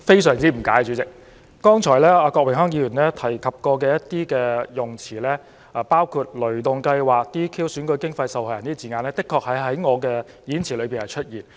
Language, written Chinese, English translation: Cantonese, 郭榮鏗議員剛才提及的一些用詞，包括"雷動計劃"、"DQ"、"選舉經費"和"受害人"等字眼，確實曾在我的演辭中出現。, Such words as ThunderGo DQ disqualify election expenses and victims as mentioned by Mr Dennis KWOK just now were used in my speech indeed but he deliberately distorted the meaning and reversed the order of all such words